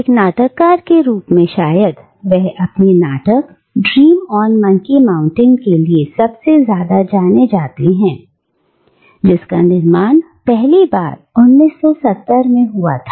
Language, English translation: Hindi, And as a dramatist he is perhaps the most well known for his play, Dream on Monkey Mountain, which was first produced in 1970